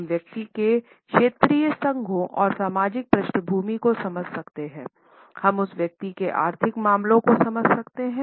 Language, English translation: Hindi, We can understand the regional associations and social backgrounds of the person, we can understand the economic affairs of that individual